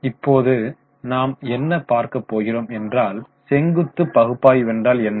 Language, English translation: Tamil, Now what we will do is what is known as vertical analysis